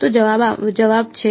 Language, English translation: Gujarati, So, the answer is